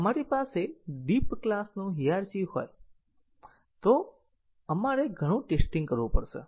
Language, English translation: Gujarati, If we have a deep class hierarchy we will have lot of testing to do